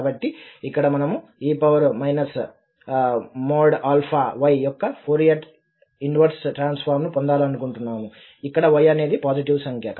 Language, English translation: Telugu, So here, we want to get the Fourier inverse transform of e power minus alpha y where y is a positive number